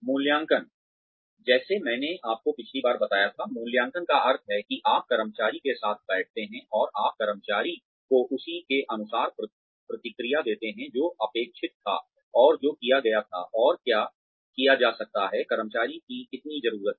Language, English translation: Hindi, Appraisal, like I told you last time, appraisal means, that you sit with the employee, and you give feedback to the employee as to, what was expected, and what was done, and what can be done more, how much, what the employee needs